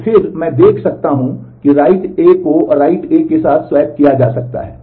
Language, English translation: Hindi, Then again, I can see that write B can be swapped with write A